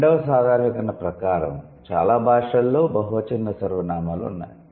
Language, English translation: Telugu, 12th generalization says, most languages have plural pronouns